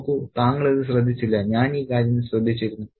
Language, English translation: Malayalam, See you don't notice this, I do notice this thing